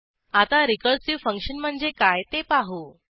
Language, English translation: Marathi, In this tutorial, we will learn What is a Recursive function